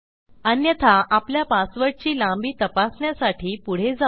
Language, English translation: Marathi, Otherwise I will proceed to check my password length